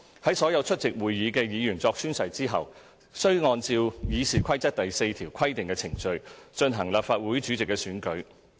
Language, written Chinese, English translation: Cantonese, 在所有出席會議的議員作宣誓後，須按照《議事規則》第4條規定的程序進行立法會主席的選舉。, After all Members present have made or subscribed an oath or affirmation the election of the President shall be conducted in accordance with the procedure as provided for under RoP 4